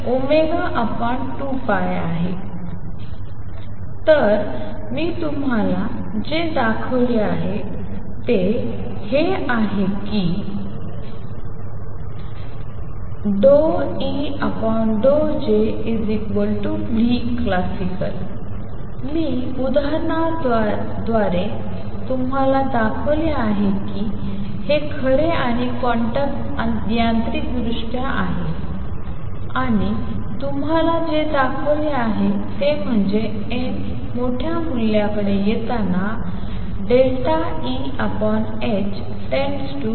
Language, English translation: Marathi, So, what I have shown you is that this result d E by d J is equal to nu classical through examples I have shown you that this is true and quantum mechanically, what we have shown is that as n approaches to large value delta E over h goes to tau times nu classical